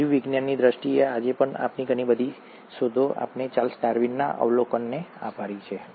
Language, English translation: Gujarati, In terms of biology, even today, a lot of our discoveries, we owe it to the observations of Charles Darwin